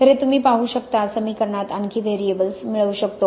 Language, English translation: Marathi, So this, you can see, adds even more variables to the equation